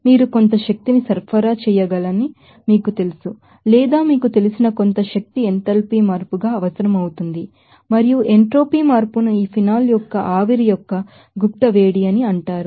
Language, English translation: Telugu, You have to you know supply some energy or it will require some you know energy as an enthalpy change and that entropy change it is called latent heat of vaporization of this phenol